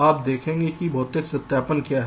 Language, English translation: Hindi, you see what is physical verification